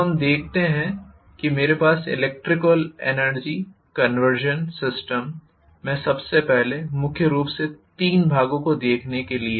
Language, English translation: Hindi, So let us say I have first of all in electromechanical energy conversion systems, right I am going to have mainly three portions being looked into, one is the electrical input